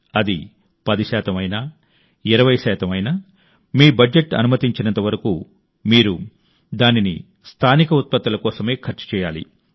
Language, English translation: Telugu, Be it ten percent, twenty percent, as much as your budget allows, you should spend it on local and spend it only there